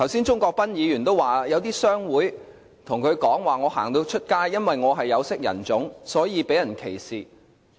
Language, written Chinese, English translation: Cantonese, 鍾國斌議員剛才說，有些商會人士對他說因為他是有色人種，在街上會被人歧視。, Just now Mr CHUNG Kwok - pan mentioned a complaint from members of a certain chamber of commerce saying that they were being discriminated on the street because of their skin colour